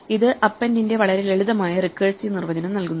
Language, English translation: Malayalam, This gives us a very simple recursive definition of append